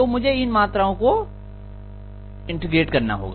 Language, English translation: Hindi, So I have to integrate these quantities